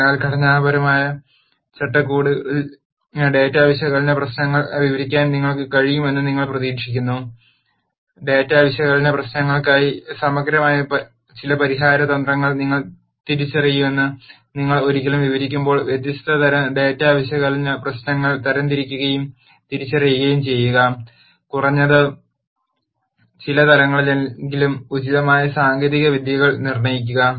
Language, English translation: Malayalam, So, you would expect you to be able to describe data analysis problems in a structured framework, once you describe that would expect you to identify some comprehensive solution strategies for the data analysis problems, classify and recognize different types of data analysis problems and at least to some level determine appropriate techniques